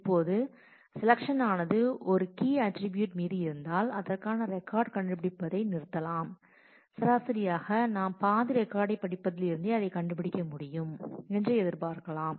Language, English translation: Tamil, Now, if the selection is on a key attribute and we can stop find on finding the record and on the average we can expect that we will be able to find it by having read half of the record